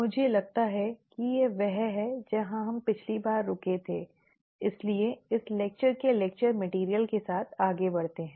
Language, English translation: Hindi, I think this is where we stopped last time, so let us go further with the lecture material of this lecture